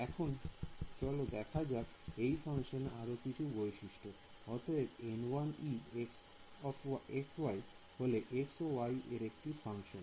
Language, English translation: Bengali, So, now let us let us look at some of the properties of this function over here; so, N 1 e as a function of x y